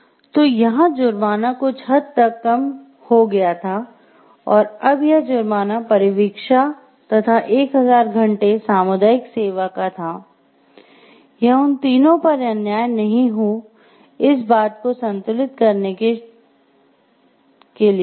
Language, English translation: Hindi, So, here the penalty was reduced to certain extent, and the it was probation and 1000 hours of community service to balance that part of the cost, and not to be unjust on the these 3 people